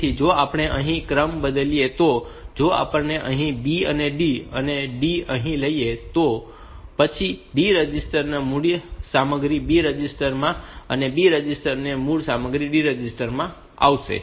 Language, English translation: Gujarati, So, if we change the order here they D here, B here and D here; then, I will get the original content of D register into B register and original content of B register into D register